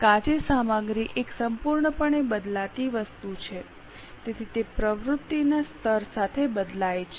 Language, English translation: Gujarati, You can see raw material is a completely variable item so it changes with the level of activity